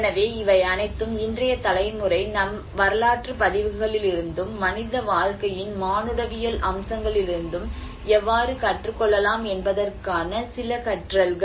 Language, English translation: Tamil, \ \ So, these are all some learnings of how the today's generation can also learn from our historical records and the anthropological aspect of human life